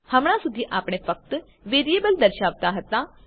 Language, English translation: Gujarati, Until now we have been displaying only the variables